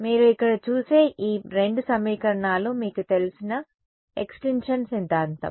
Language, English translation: Telugu, These two equations that you see over here they are your familiar extinction theorem right